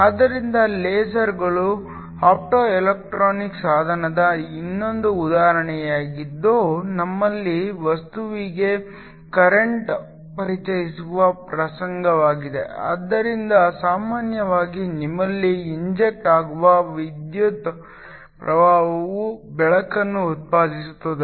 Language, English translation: Kannada, So, LASERs is another example of optoelectronic device where we have incident a current introduce into the material, so usually you have current that is injected which produces light